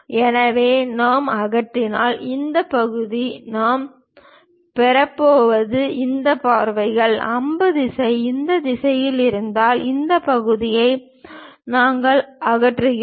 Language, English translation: Tamil, So, if we are removing, this part, the section what we are going to get is these views; because we are removing this part, because arrow direction is in this direction